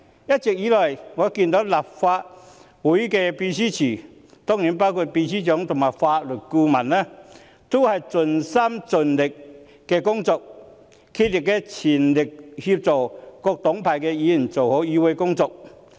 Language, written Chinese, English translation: Cantonese, 一直以來，我看到立法會秘書處，當然包括秘書長和法律顧問，均盡心盡力工作，全力協助各黨派議員做好議會工作。, All along I see that the Legislative Council Secretariat including the Secretary General and the Legal Adviser are committed to their work and spare no effort in assisting Members from various political parties with their legislative work